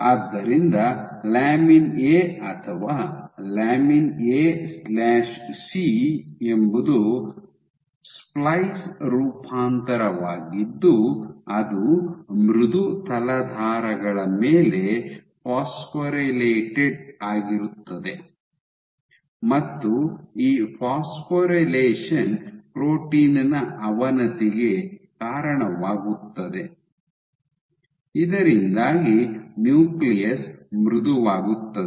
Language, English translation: Kannada, So, lamin A or lamin A/C it is the splice variant gets phosphorylated on software substrates and this phosphorylation leads to degradation of the protein making the nucleus soft